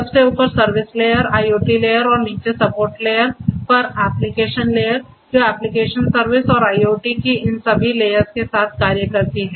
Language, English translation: Hindi, Application layer on the very top, service layer, IoT layer, and the bottom support layer, which cuts across all of these layers of application service and IoT